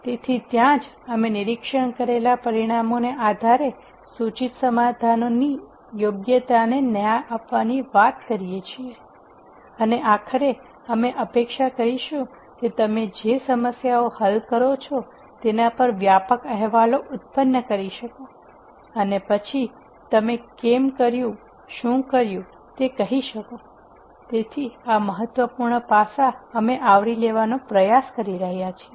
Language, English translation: Gujarati, So, that is where we talk about judging the appropriateness of the proposed solution based on the observed results and ultimately, we would expect you to be able to generate comprehensive reports on the problems that you solve and then be able to say why you did, what you did, so, that is an important aspect of what we are trying to cover